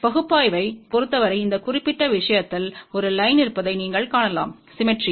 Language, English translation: Tamil, As far as the analysis is concerned you can see that along this particular thing, there is a line of symmetry